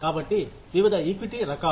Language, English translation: Telugu, So, various types of equity